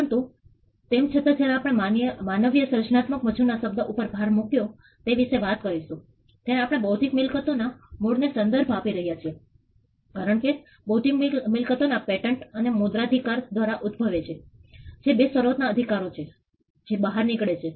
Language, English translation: Gujarati, So, so but nevertheless when we talk about when we put the emphasis on human creative labour we are referring to the origin of intellectual property, because intellectual property originated through copyrights and patents that was the two initial rights that emerged